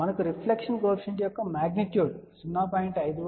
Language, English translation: Telugu, We only need magnitude of the reflection coefficient which is 0